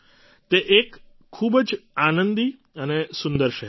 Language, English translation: Gujarati, It is a very cheerful and beautiful city